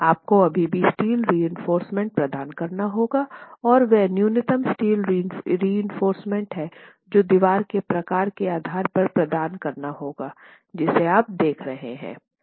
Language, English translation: Hindi, You might still, you would still have to provide steel reinforcement and that's the minimum steel reinforcement that you'll have to provide depending on the type of wall that you're looking at